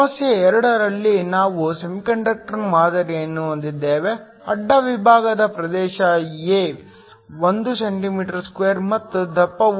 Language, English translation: Kannada, In problem 2, we have a sample of a semiconductor, the cross sectional area A is 1 cm2 and the thickness is 0